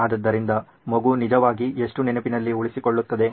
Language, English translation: Kannada, So how much does the child actually retain